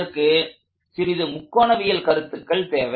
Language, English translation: Tamil, That just involves a little bit of trigonometry